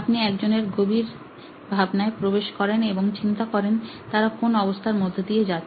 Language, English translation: Bengali, You get into somebody else’s psyche and think about what is it that they are going through